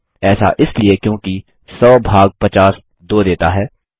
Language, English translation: Hindi, That is because 100 divided by 50 gives 2